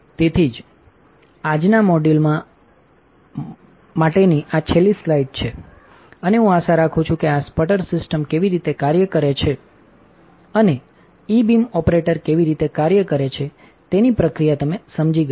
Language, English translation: Gujarati, So, this is the last slide for today’s module, and I hope that you understood the process of how this sputter system works and how the E beam operator works